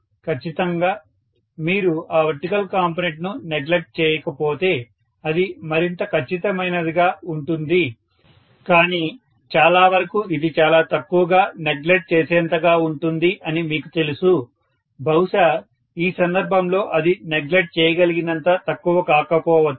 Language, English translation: Telugu, Definitely, if you do not neglect that vertical component it will be more accurate but most of the times it happens to be you know negligible, maybe in this case it so happens that it is not negligible